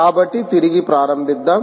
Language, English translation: Telugu, so we restart